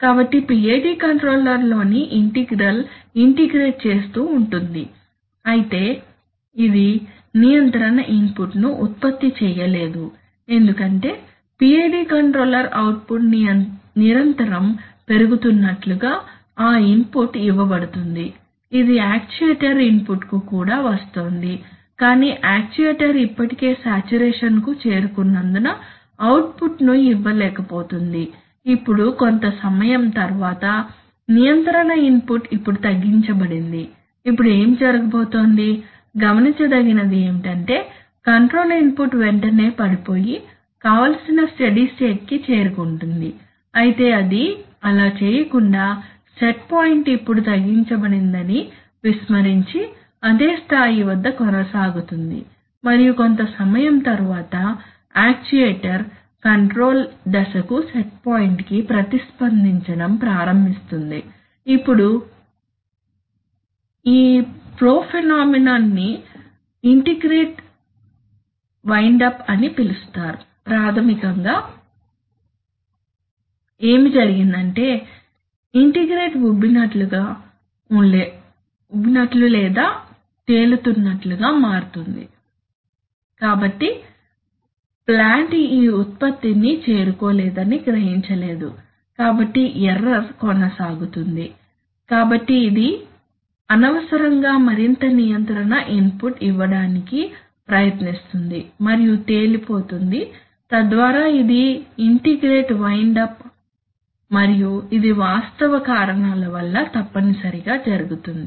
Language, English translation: Telugu, So the integral in the PID controller goes on integrating the error however it cannot produce a control input because they actually, that input is given, so the, as if the PID controller output is the, controller output is continuously increasing it is also coming to the actuator input but the actuator is not able to give that output because it is already saturated, now suppose that, after some time, The control input is now reduced, now what is going to happen, what will be observed is that the while the, while it would have been desirable that the control input immediately falls down and reaches, as, reaches the desired steady state point it does not do that rather it continues at the same level we ignoring that the set point has now been reduced and overly after some time only after some time does the actuator does the Control start respond to the stage to the set point, now this phenomenon is called integrator windup, basically what has happened is that the integrator has become bloated or floated, so it has not realized that that the plant cannot reach this output so the error is, will persist so it is unnecessarily trying to give more and more control input and getting blown up, right, so that is integrated windup and it happens essentially because of the fact